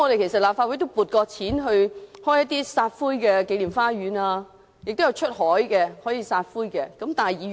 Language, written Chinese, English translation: Cantonese, 其實立法會曾就開設紀念花園及出海撒灰批准撥款。, In fact the Legislative Council has approved funding to pursue the work of scattering ashes in gardens of remembrance or at sea